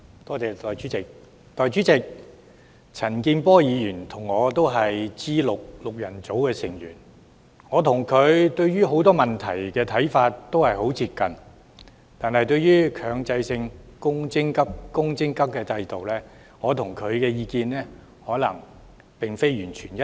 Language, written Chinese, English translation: Cantonese, 代理主席，陳健波議員和我也是 G6 的成員，我倆對很多問題的看法均十分接近，但對於強制性公積金制度的意見卻恐怕並非完全一致。, Deputy President Mr CHAN Kin - por and me are members of G6 . We have very similar views on many issues . However insofar as the Mandatory Provident Fund MPF System is concerned I am afraid our views are not entirely consistent